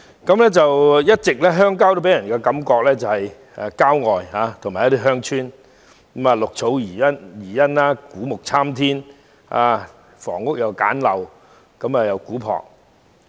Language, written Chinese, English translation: Cantonese, 鄉郊一直予人郊外地方的感覺，建有一些鄉村，綠草如茵，古木參天，房屋簡陋古樸。, Rural areas have always given people the impression of countryside in which we can find villages green pastures old trees that reach into the skies and houses of primitive simplicity